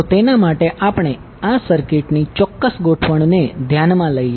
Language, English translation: Gujarati, So for that lets consider this particular circuit arrangement